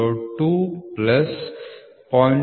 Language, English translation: Kannada, 002 plus 0